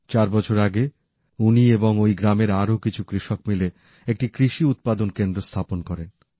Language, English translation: Bengali, Four years ago, he, along with fellow farmers of his village, formed a Farmer Producer's Organization